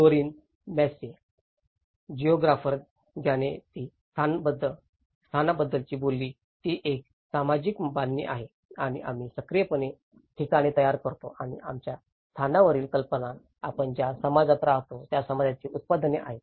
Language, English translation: Marathi, Doreen Massey, a geographer she talked about place is a social construct and we actively make places and our ideas of place are the products of the society in which we live